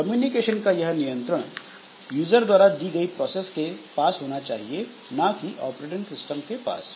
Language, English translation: Hindi, The communication is under the control of the users processes, not the operating system